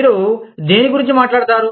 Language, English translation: Telugu, What do you talk about